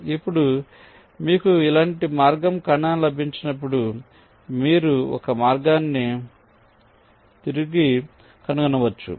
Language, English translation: Telugu, now, as you got a path intersection like this, you can trace back a path like up to here